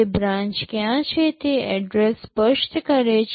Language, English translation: Gujarati, It specifies the address where to branch